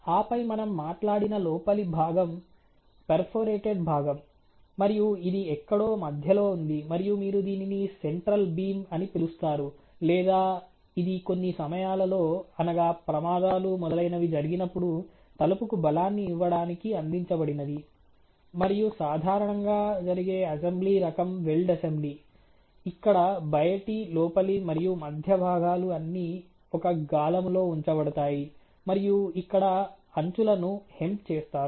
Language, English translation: Telugu, And then there is the inside member which we just talked about ok the perforated member, and this is somewhere in the center you can call it a central beam or you know it is something which is provided providing the strength to the door in some cases in case of accidents etcetera, and typically the way that the assemble happens is a welled assembly where the outer and the inner in the central members or all put in a jack and the hamming is done on the edges here